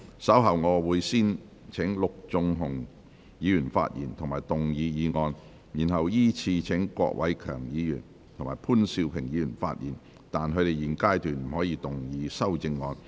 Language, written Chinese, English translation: Cantonese, 稍後我會先請陸頌雄議員發言及動議議案，然後依次序請郭偉强議員及潘兆平議員發言，但他們在現階段不可動議修正案。, Later I will first call upon Mr LUK Chung - hung to speak and move the motion . Then I will call upon Mr KWOK Wai - keung and Mr POON Siu - ping to speak in sequence but they may not move their amendments at this stage